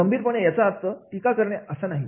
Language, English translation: Marathi, Critically means it does not mean the criticism